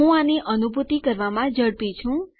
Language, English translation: Gujarati, I am a bit quick at realizing these